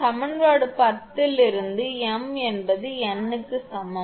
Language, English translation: Tamil, From equation 10, we get for m is equal to n